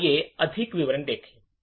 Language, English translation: Hindi, So, let us look at more details